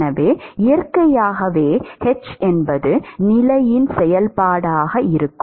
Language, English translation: Tamil, So, naturally h is going to be a function of the position